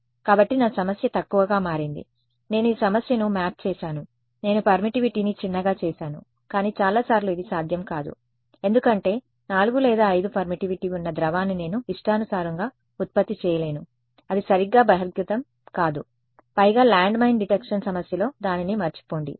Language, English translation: Telugu, So, my problem has become lesser I have mapped it sort of this problem I made the permittivity smaller ok, but many times this is not going to be possible because I cannot produce at will a liquid which has permittivity 4 or 5 hardly it reveal right, moreover in the landmine detection problem, forget it